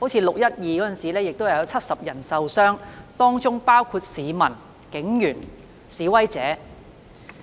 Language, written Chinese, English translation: Cantonese, 6月12日的事件中有70人受傷，當中包括市民、警員和示威者。, Seventy people were injured in the incident on 12 June including citizens police officers and protesters